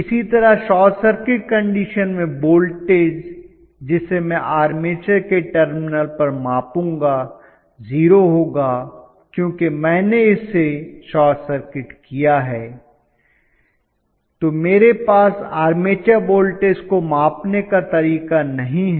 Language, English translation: Hindi, The same way in the short condition obviously the voltage that I would measure across the terminals of the armature will be 0 because I have short circuited, so I do not have the way to measure the armature voltage